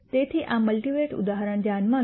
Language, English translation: Gujarati, So, consider this multivariate example